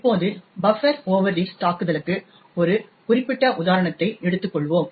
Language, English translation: Tamil, Now let us take one particular example of buffer overread attack